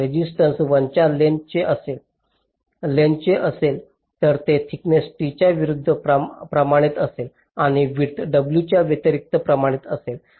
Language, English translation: Marathi, so resistance will be proportional to l, the length, it will be inversely proportional to the thickness, t, and also inversely proportional to the width, w